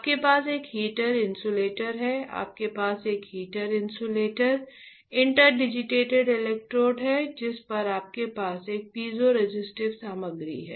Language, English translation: Hindi, You have a heater insulator, you have a heater, insulator, interdigitated electrodes on which you have a piezoresistive material